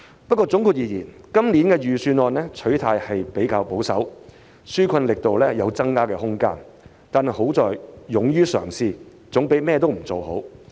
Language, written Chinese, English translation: Cantonese, 不過，總括而言，今年預算案取態比較保守，紓困力度有增加的空間，但其優點是勇於嘗試，總較甚麼也不做為好。, All in all this years Budget has adopted a relatively conservative stance and there is still room for stepping up the relief efforts . That being said the Budget demonstrated a bold spirit which is better than doing nothing